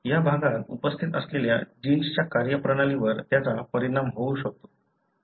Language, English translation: Marathi, It might affect the way the genes that are present in this region are functioning